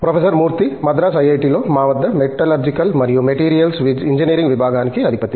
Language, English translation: Telugu, Murty is the head of our Department of Metallurgical and Materials Engineering, here at IIT, Madras